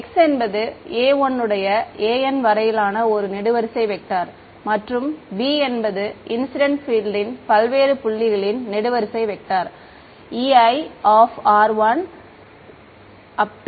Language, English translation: Tamil, The x is the column vector of a 1 up to a n and b is a column vector of the incident field at various points r 1 Ei of r N ok